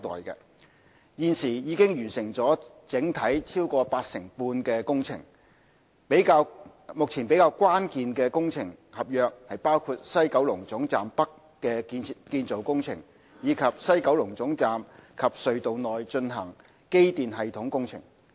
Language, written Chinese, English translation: Cantonese, 現已完成整體超過八成半的工程，目前比較關鍵的工程合約包括西九龍總站北的建造工程，以及西九龍總站及隧道內進行的機電系統工程。, Currently the works are over 85 % complete . The relatively critical works contracts at present include the construction of the West Kowloon Terminus WKT North and the electrical and mechanical systems works currently being carried out in the WKT and tunnels